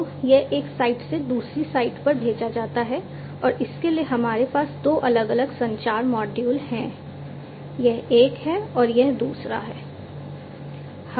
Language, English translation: Hindi, So, this is sent from one site to another site and for this we have two different communication modules over here this is one and this is another